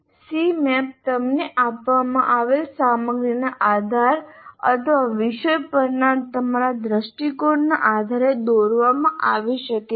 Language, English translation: Gujarati, The C map can be drawn based on the content given to you and are on your view of the subject